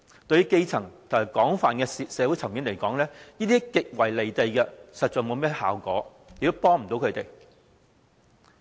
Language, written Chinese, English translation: Cantonese, 對於基層和廣泛的社會階層來說，這是極為"離地"的，實在不會產生甚麼效果，亦幫助不到他們。, To the grassroots and to a wide social spectrum these proposals are downright detached from their lives ineffective and unhelpful